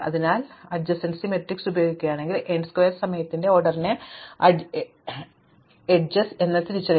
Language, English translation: Malayalam, So, if we using adjacency matrix just identifying which are the edges takes of the order n square time